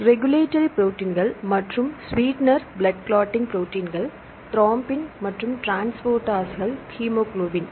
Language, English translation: Tamil, Regulatory proteins and the sweetener, blood clotting proteins, thrombin, and transporters hemoglobin